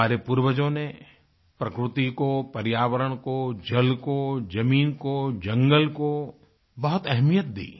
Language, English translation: Hindi, Our forefathers put a lot of emphasis on nature, on environment, on water, on land, on forests